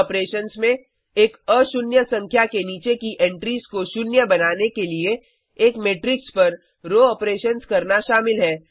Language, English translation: Hindi, These operations involve executing row operations on a matrix to make entries below a nonzero number, zero